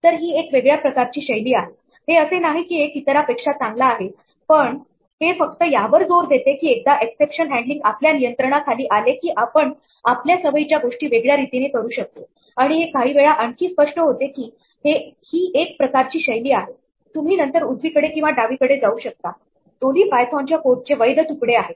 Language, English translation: Marathi, So, this is just a different style, it is not saying that one is better than the other, but it is just emphasizing that once we have exception handling under our control we may be able to do things differently from what we are used to and sometimes these may be more clear it is a matter of style you might be further left or the right, but both are valid pieces of python code